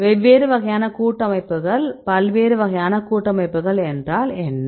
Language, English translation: Tamil, Or different types of complexes, what are different types of complexes